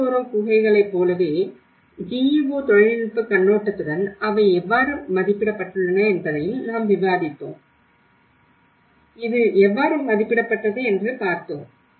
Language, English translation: Tamil, Like Pitalkhora caves, the rock shelters how they have been assessed with the GEO technological perspective and similarly, we also discussed about, How it has been rated